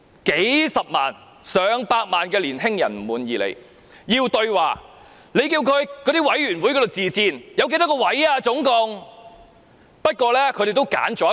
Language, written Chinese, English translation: Cantonese, "數十萬、上百萬青年人不滿意她，要求對話，她叫他們向委員會自薦，請問那計劃總共有幾多個席位？, When hundreds of thousands and even millions of young people are dissatisfied with the Chief Executive and demand dialogues with her she asks them to recommend themselves . May I ask how many places are there under the Scheme?